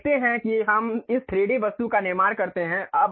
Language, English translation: Hindi, You see this is the way we construct this 3D object